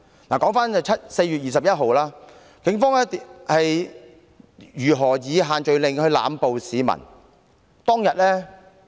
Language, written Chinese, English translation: Cantonese, 回頭說4月21日當天，警方如何以限聚令濫捕市民呢？, Let me go back to talk about how the Police used such restrictions to make arrests indiscriminately on 21 April